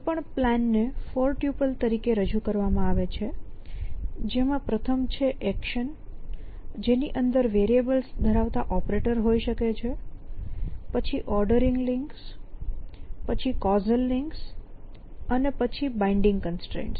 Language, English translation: Gujarati, And a plan in represented as a 4 topple where the first one is actions as they could be operators with variables inside them then ordering links the causal links and then binding constants